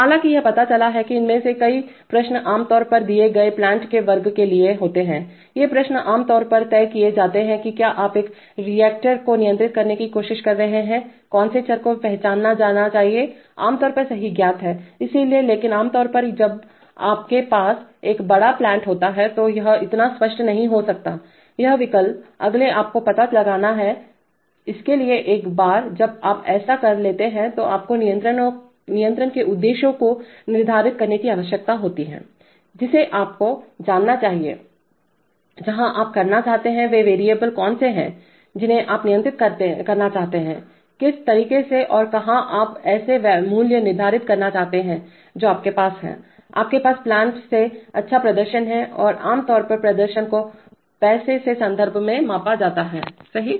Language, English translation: Hindi, However it turns out that many of these questions are generally for given class of plants these questions are generally settled that is if you are trying to control a reactor, which of the variables are to be sensed is generally well known right, so, but typically when you have a large plant this may not be so clear, these options, next you have to find out, so once you have done that roughly you need to set the control objectives that is you need to know, where you want to, which are the variables you want to control, in what way and where do you want to set the values such that you have, you have good performance from the plant and generally performance is measured in terms of money, right